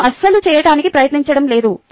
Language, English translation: Telugu, i am not trying to do that at all